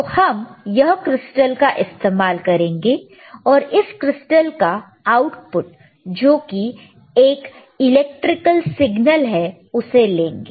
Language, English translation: Hindi, So, we use this a crystal and then we had takinge the output of the crystal right and this output will be nothing, but, which is an electrical signal